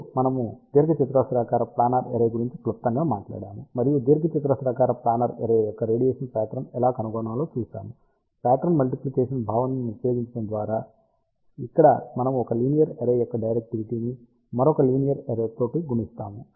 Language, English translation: Telugu, Then, we briefly talked about rectangular planar array and we saw how to find the radiation pattern of the rectangular planar array, by simply using the pattern multiplication concept, where we multiply the directivity of 1 linear array with the another linear array